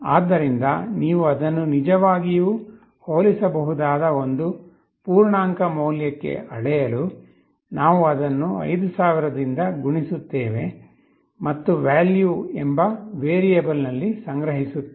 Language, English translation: Kannada, So, to scale it up to an integer value, which you can actually compare, we multiply it by 5000, and store in a variable called “value”